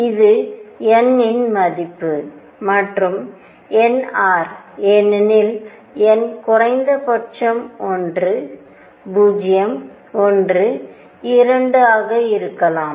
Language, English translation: Tamil, That is the value of n, and nr because n minimum is one could be 0 1 2 and so on